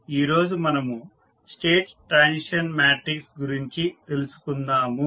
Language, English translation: Telugu, Now, let us talk about the State Transition Matrix